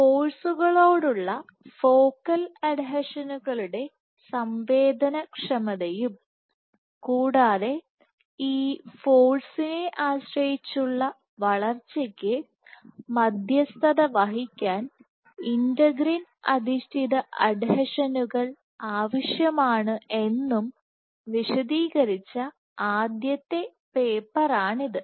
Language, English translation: Malayalam, So, this was the seminal paper which first demonstrated the sensitivity of focal adhesions to forces and also that integrin mediated adhesions are necessary in order to mediate this force dependent growth